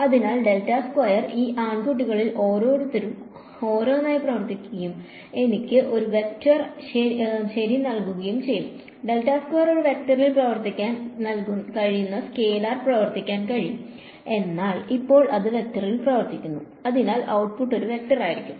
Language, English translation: Malayalam, So, del squared will act on each of these guys one by one and give me a vector ok, del squared can act on the scalar it can act on a vector, but right now its acting on the vector so output will be a vector